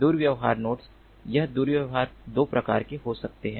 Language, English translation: Hindi, misbehaving nodes: this misbehavior can be of two types